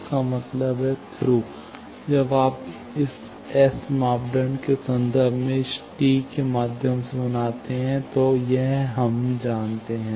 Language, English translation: Hindi, That means, Thru when you make through this T in terms of this S parameters, we know